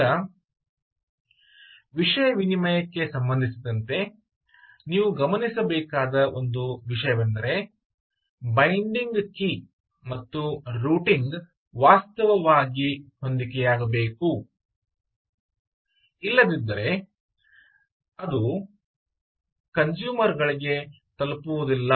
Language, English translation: Kannada, this is an interesting thing that you have to note is that the binding key and the routing should actually match, otherwise it will not get delivered to the consumers